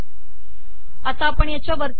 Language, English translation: Marathi, Go to the top of this